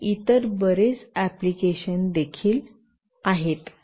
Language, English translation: Marathi, And there are many other applications as well